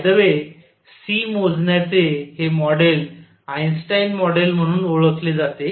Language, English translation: Marathi, By the way, this model of calculating C is known as Einstein model